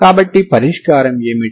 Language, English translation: Telugu, So what is the solution